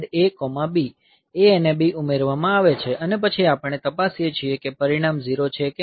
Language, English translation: Gujarati, So, A and B are added and then we check whether the result is 0 or not